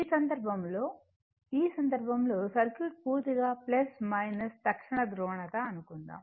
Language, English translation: Telugu, Suppose, in this case, in this case circuit is purely polarity is instantaneous